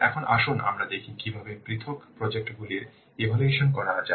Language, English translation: Bengali, Now, let's see how to evaluate the individual projects